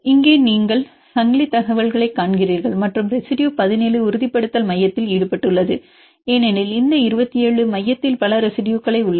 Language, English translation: Tamil, And here you see the chain information and the residue 17 is involved in stabilization center because this 27 they are having several residues in the center and they are interacting with each other